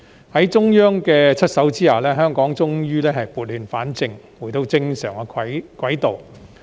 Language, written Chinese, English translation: Cantonese, 在中央出手下，香港終於撥亂反正，重回正軌。, With the actions taken by the Central Government Hong Kong has eventually set things right and returned to the right track